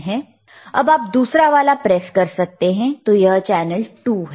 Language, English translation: Hindi, nNow can you press another one, more time this is channel 2 right